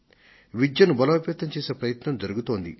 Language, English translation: Telugu, An effort is being made to provide quality education